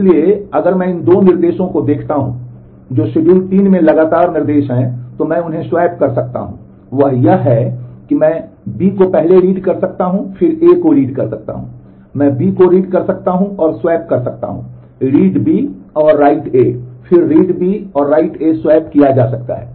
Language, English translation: Hindi, So, here if I look into these 2 instructions, which are the consecutive instructions in schedule 3 I can swap them; that is, I can do read B first and then do read A, I can swap read B and write A read B, and write A can be swapped